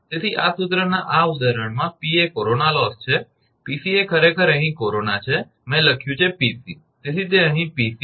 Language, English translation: Gujarati, So, in this example for this formula P is the corona loss, Pc actually is the corona here, I have written Pc, so here it is P c